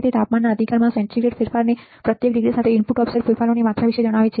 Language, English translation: Gujarati, It tells about the amount of input offset changes with each degree of centigrade change in the temperature right